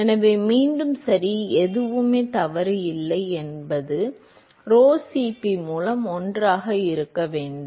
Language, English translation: Tamil, So, again right nothing is wrong should be 1 by rho Cp